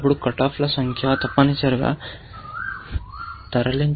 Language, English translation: Telugu, Then, you would notice that the number of cut offs are moved, essentially